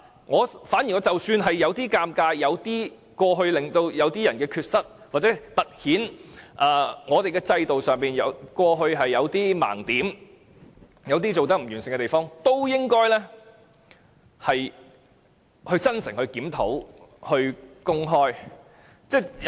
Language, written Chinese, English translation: Cantonese, 即使政府有些尷尬，即使公開資料會凸顯某些人有缺失、制度有某些盲點、有做得不完善的地方，政府也應該公開資料、真誠檢討。, Even if the Government would feel somewhat embarrassing and even if disclosure of the information would highlight the mistakes of certain persons the blind spots of the system and the poor jobs that have been done the Government should nonetheless disclose the information and review all the shortcomings sincerely